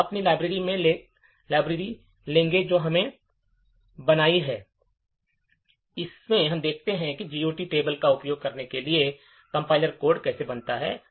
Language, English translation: Hindi, So, we will take our library that we have created and see how the compiler generates code for using this GOT table